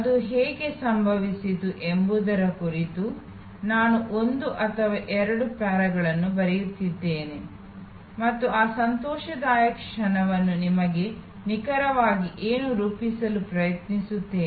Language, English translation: Kannada, I am write one or two paragraphs about how it happened and try to characterize what exactly give you that joyful moment